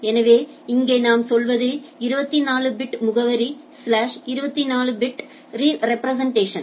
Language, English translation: Tamil, So, like here what we say 24 bit address slash 24 representation